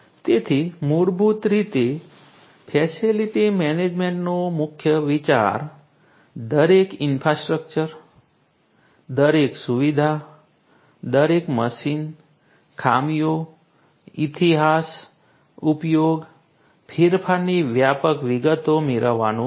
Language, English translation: Gujarati, So, basically the key idea of facility management is to get an a comprehensive detail of each and every infrastructure every facility every machine, the faults, the history, usage, modification